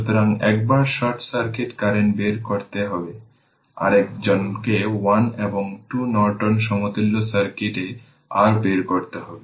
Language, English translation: Bengali, So, once you have to find out short circuit current, another is you have to find out the your ah in 1 and 2 ah Norton equivalent circuit right